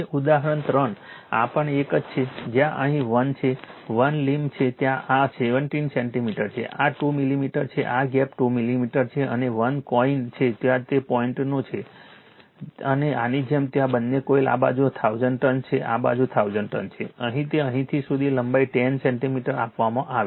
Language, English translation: Gujarati, Now example 3, this is also one, where here is 1, 1 limb is there this is 17 centimeters right, this is 2 millimeter, this gap is 2 millimeter and 1 coin is there it is own, like this there both the coils this side 1000 turns this side is 1000 turns, here it is from here to here the length is given 10 centimeter